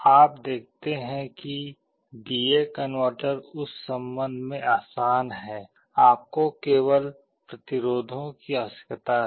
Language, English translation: Hindi, You see D/A converter is easier in that respect, you need only resistances